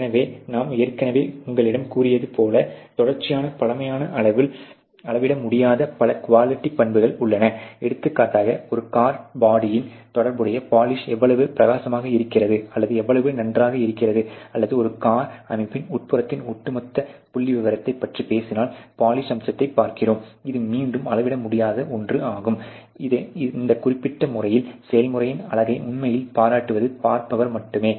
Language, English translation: Tamil, So, as I already told you that the many quality characteristics which cannot be measured on a continuous stale scale; for example, let us say looking into the polish aspect that how bright is the or how good is the polish related to a car body or may be if you talk about the overall a statistics of a interior of a car system; that is again something which cannot be measured its only the beholder who actually appreciates the beauty or the process ok in this particular manner